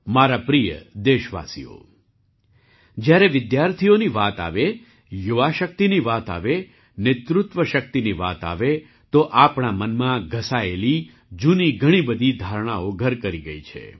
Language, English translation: Gujarati, My dear countrymen, when it comes to students, youth power, leadership power, so many outdated stereotypes have become ingrained in our mind